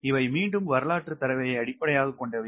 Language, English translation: Tamil, these at again based on historical data